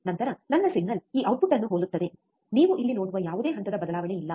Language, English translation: Kannada, Then my signal is like this output is also similar which you see here which is without any phase shift